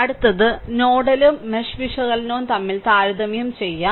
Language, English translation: Malayalam, So, this is the difference between nodal and your what you call mesh analysis